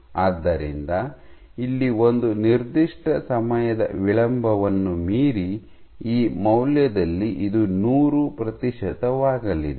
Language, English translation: Kannada, So, here at this value beyond a certain time delay this is going to be 100 percent